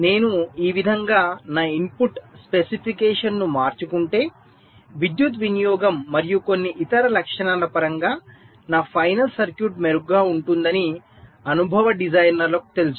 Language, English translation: Telugu, so experience designers know that if i change my input specification in this way, my final circuit will be better in terms of power consumption and some other characteristics also